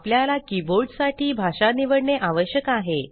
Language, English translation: Marathi, We need to select a language for the keyboard